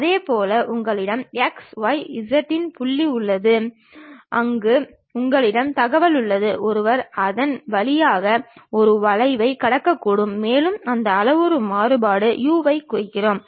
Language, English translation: Tamil, In the same way you have any point x, y, z where you have information maybe one can pass a curve through that and that parametric variation what we are saying referring to u